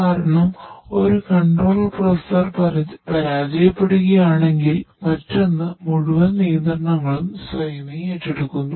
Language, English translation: Malayalam, So, in case of one control processor fails the another one take the whole controls automatically